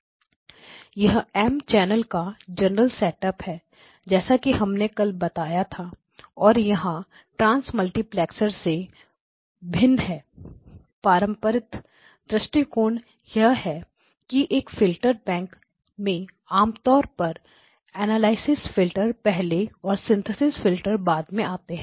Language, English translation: Hindi, This is the M channel general setup as we mentioned yesterday is different from a trans multiplexer, the conventional approach is that in a filter bank typically the analysis filters come first followed by synthesis filter